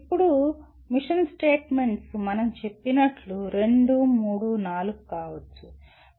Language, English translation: Telugu, Now mission statements can be two, three, four as we said